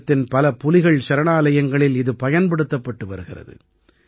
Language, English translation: Tamil, It is being used in many Tiger Reserves of the country